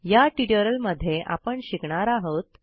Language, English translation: Marathi, In this tutorial we will learn the following